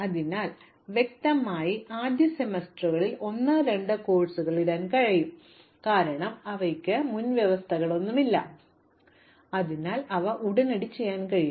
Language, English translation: Malayalam, So, clearly I can start putting courses 1 and 2 in the first semester, because they have no prerequisites, so they can be done immediately